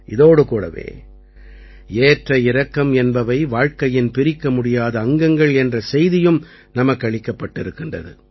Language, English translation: Tamil, Along with this, the message has also been conveyed that ups and downs are an integral part of life